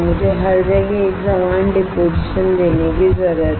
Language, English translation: Hindi, I need to have a uniform deposition everywhere